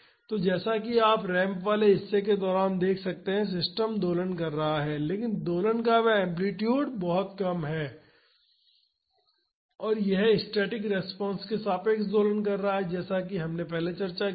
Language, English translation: Hindi, So, here as you can see during the ramped portion the system is oscillating, but that amplitude of oscillation is very less and it is oscillating about the static response as we have discussed earlier